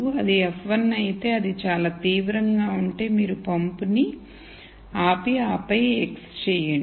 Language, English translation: Telugu, If it is f 1, if it is very severe then you stop the pump and then x it